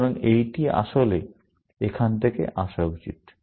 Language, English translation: Bengali, So, this should actually, come from here